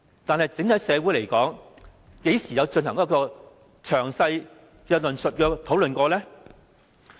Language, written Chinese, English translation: Cantonese, 但是，在整體社會上，何時曾進行詳細的論述和討論呢？, Has society at large ever been engaged in any detailed discussion on the issue?